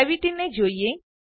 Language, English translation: Gujarati, Take a look at Gravity